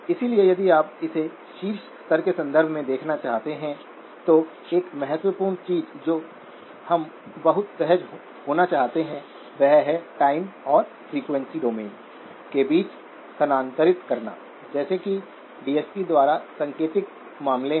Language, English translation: Hindi, So if you were to look at it in the context of at top level, so one of the key things that we would like to be very comfortable in is to move between the time and the frequency domain, just as in the DSP case indicated by the, be able to go back and forth